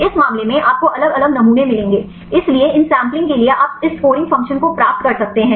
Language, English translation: Hindi, In this case, you will get the different sampling; so for these sampling you can get this scoring function